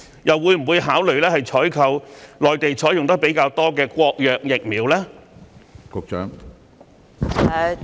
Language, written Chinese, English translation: Cantonese, 又會否考慮採購內地較多採用的國藥疫苗呢？, Will the Sinopharm vaccine which is more widely used on the Mainland be considered for procurement?